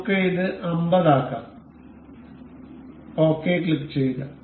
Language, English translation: Malayalam, Let us make it 50 and we will click ok